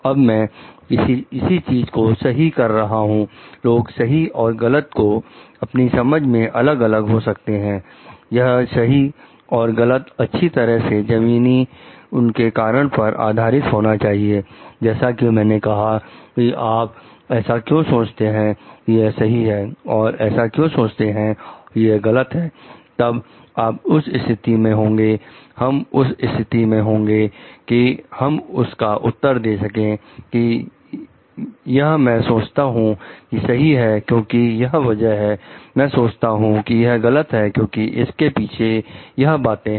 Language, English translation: Hindi, Now, I am making something to be right, people will be differing in their understanding of right and wrong, but these right and wrong should be well grounded in their reasons for like, if I ask you, why you think this to be right, why you think that to be wrong then, you must be in a position we must be in a position to answer I think this is to be right because, of these things I this think this to be wrong because, of these things